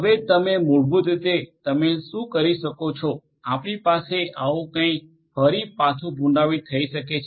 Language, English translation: Gujarati, Now you can basically what you can do you can have something like this repeated once again right